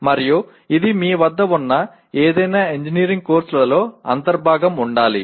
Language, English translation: Telugu, And this should be integral part of any engineering course that you have